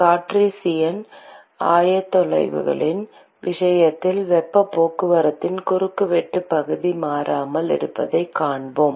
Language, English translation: Tamil, in case of Cartesian coordinates, we will see that the cross sectional area of heat transport remains constant